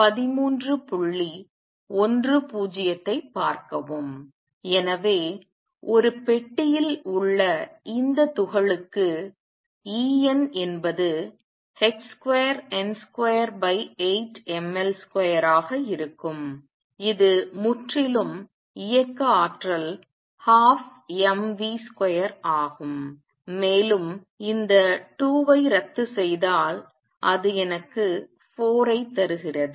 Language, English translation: Tamil, So, for this particle in a box where E n is h square n square over 8 m L square is purely the kinetic energy half m v square and if I cancels 2 with this it gives me 4